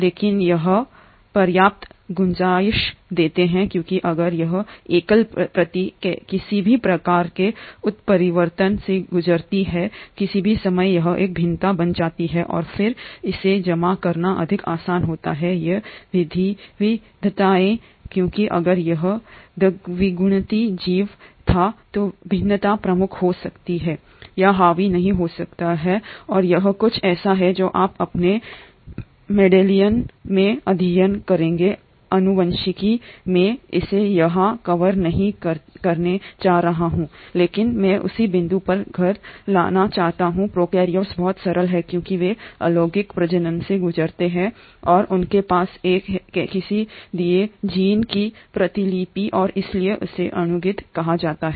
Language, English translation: Hindi, But this gives enough scope, because if at all this single copy undergoes any sort of mutation at any point of time it becomes a variation and then it is much more easier to accumulate these variations because if it was a diploid organism, the variation may become dominant or may not become dominant and this is something that you will study in your Mendelian genetics, I am not going to cover it here but I want to bring home the same point that prokaryotes are much simpler because they undergo asexual reproduction and they have one copy of a given gene and hence are called as haploids